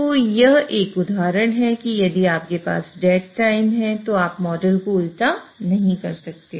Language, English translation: Hindi, So this is one example that if you have a dead time, you cannot invert the model